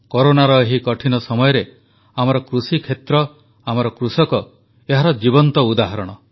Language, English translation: Odia, In this difficult period of Corona, our agricultural sector, our farmers are a living testimony to this